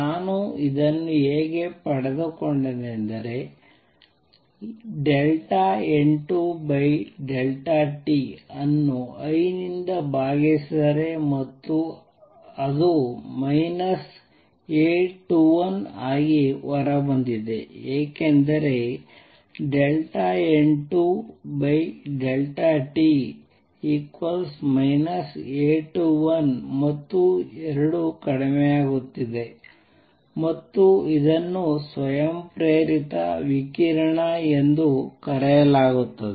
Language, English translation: Kannada, How I got this is like this I divided delta N 2 by delta t and it came out to be A 21, a minus sign because delta N 2 by delta t is negative and 2 is decreasing and this is known as spontaneous radiation